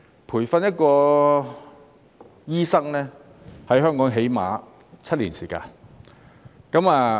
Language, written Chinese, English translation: Cantonese, 培訓一名醫生，在香港最少需要7年時間。, It takes at least seven years to train a doctor in Hong Kong